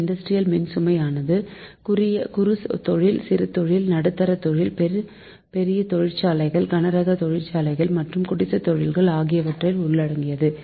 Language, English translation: Tamil, so industrial loads consists of small scale industries, medium scale industries, large scale industries, heavy industries and cottage industries